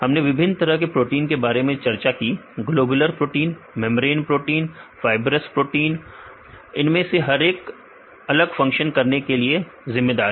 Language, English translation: Hindi, We discussed about various types of proteins: globular protein, membrane protein the fibrous proteins each one of them are responsible for different types of functions right